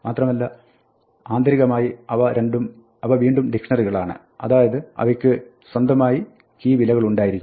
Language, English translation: Malayalam, And internally they are again dictionaries, so they have their own key value